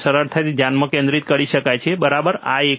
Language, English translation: Gujarati, So, it can be focused easily, right this one